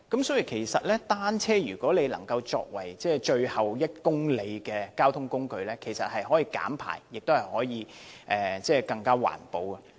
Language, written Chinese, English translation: Cantonese, 所以，把單車作為最後1公里的交通工具，其實可以減排，亦更環保。, It can thus be seen that using bicycles as the mode of transport for the last kilometre can reduce emission and is more environmentally friendly